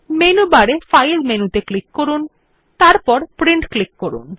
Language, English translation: Bengali, Click on the File menu in the menu bar and then click on Print